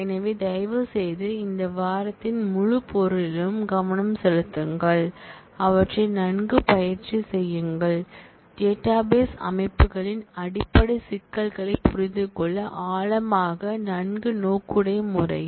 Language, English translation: Tamil, So, please put a lot of focus in the whole material of this week and practice them well, to understand the basic issues of database systems, in depth in a well oriented manner